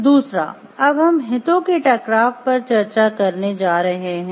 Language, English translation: Hindi, Second we are going to discuss about the conflict of interest